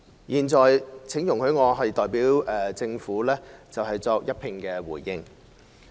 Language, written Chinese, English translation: Cantonese, 現在，請容許我代表政府作一併回應。, Now allow me to give a combined response on behalf of the Government